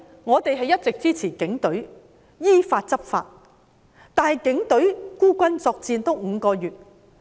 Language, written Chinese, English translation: Cantonese, 我們是一直支持警隊執法的，但警隊已經孤軍作戰了5個月。, We always support law enforcement by the Police but the Police have been fighting alone for five months